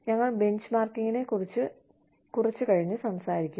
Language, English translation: Malayalam, We will talk about, benchmarking, a little later